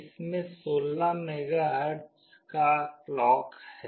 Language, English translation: Hindi, It has a 16 MHz clock